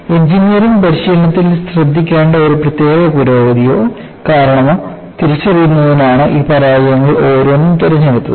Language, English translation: Malayalam, Each one of these failure was selected to identify a particular improvement or cause that needs to be looked at in engineering practice